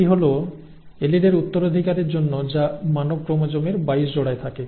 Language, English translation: Bengali, It is for the inheritance of alleles that reside on the 22 pairs of human chromosomes